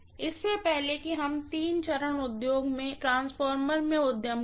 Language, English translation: Hindi, Before we venture into the three phase transformer, right